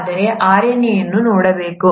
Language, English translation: Kannada, But, if one were to look at RNA